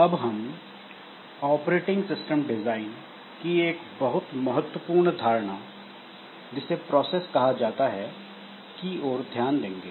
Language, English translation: Hindi, Next we shall be looking into one of the very important concept in operating system design which is known as processes